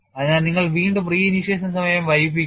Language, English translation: Malayalam, So, you delay the re initiation time